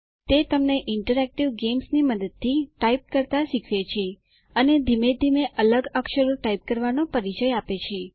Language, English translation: Gujarati, It teaches you how to type using interactive games and gradually introduces you to typing different characters